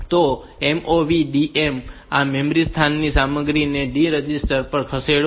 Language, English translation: Gujarati, So, this will move the content of this memory location on to the D register